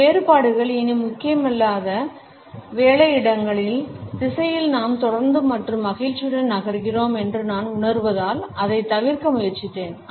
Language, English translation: Tamil, Meticulously I have tried to avoid it because I feel that we are consistently and happily moving in the direction of those work places where these differences are not important anymore